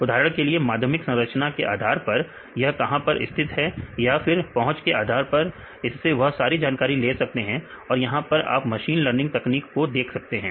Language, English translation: Hindi, For example, where this is located based on secondary structure or based on the accessibility surface area; they take all this information and here you can see the machine learning technique